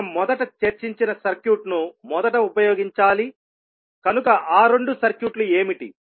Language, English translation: Telugu, We have to first use the circuit which we discussed previously, so what are those two circuits